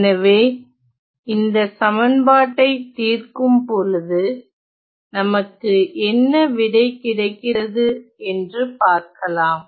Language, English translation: Tamil, So, let us now solve this equation and see what is the answer